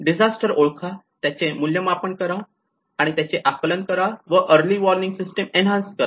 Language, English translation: Marathi, Identify, assess and monitor disasters and enhance early warning systems